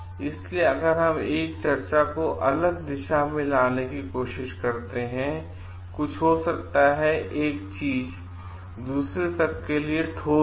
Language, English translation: Hindi, So, if we try to bring in different tracks to a discussion and everything may be one thing is concrete to the other